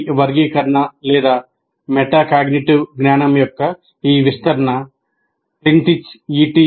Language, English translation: Telugu, This classification or this elaboration of metacognitive knowledge is to Plintric and other authors